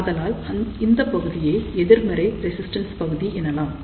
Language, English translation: Tamil, So, this region is known as negative resistance region